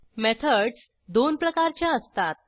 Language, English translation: Marathi, There are two types of methods